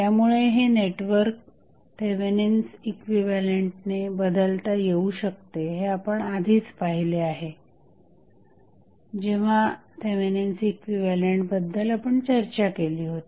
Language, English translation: Marathi, So, this network can be replaced by the Thevenin's equivalent this we have already seen when we discuss the Thevenin's equivalent